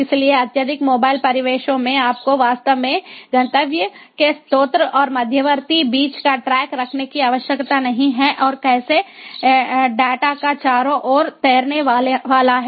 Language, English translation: Hindi, so in highly mobile environments you do not really need to keep track of the source, the destination and the intermediate hops in between and how the data is going to float all around